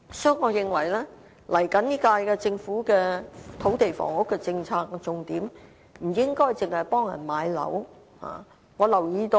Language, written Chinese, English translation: Cantonese, 所以，我認為下屆政府在土地房屋政策上，不應該只是聚焦於協助市民買樓。, For that reason I maintain that the next - term Government should not limit its focus to helping the public to purchase homes when formulating the land and housing policy